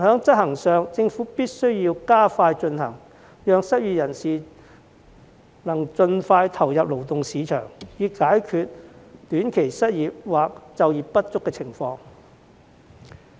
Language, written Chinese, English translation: Cantonese, 然而，政府必須加快推行，讓失業人士能盡快投入勞動市場，以解決短期失業或就業不足的情況。, I welcome this initiative . However the Government must expedite the effort to help the unemployed return to the labour market as soon as possible so as to solve the problem of short - term unemployment or underemployment